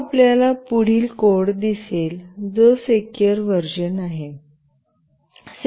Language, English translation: Marathi, Now, we will see the next code, which is the secure version